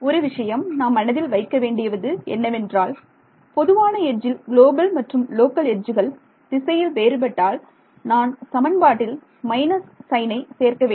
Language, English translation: Tamil, So, the only thing I have to take care of is that on the common edge if the global and the local edges differ by a direction and I have to add a minus sign in the equations ok